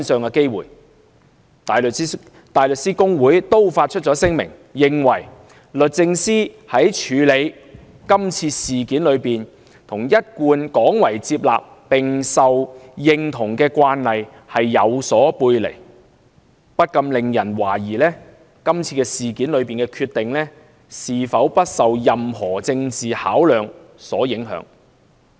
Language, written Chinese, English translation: Cantonese, 香港大律師公會亦已發出聲明，認為"律政司於處理此事件中與......一貫廣為接納並受認同的慣例有所背離，不禁令人懷疑，是次事件中的決定是否不受任何政治考量所影響"。, The Hong Kong Bar Association has also issued a statement saying [t]he departure from the commendable and well - recognized convention raises justifiable doubts as to whether the decision in question was reached free from any bias or political considerations